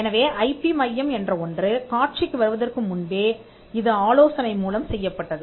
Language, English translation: Tamil, So, this even before the IP centre came into the picture was done through consultancy